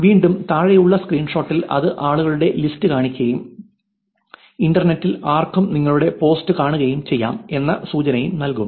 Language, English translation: Malayalam, Again in the bottom screenshot which showing you these people and anyone on the internet can see your post